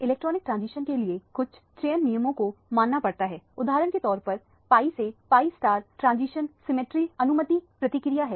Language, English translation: Hindi, There are selection rules that needs to be followed for the electronic transition for example, the pi to pi star transition is a symmetry allowed process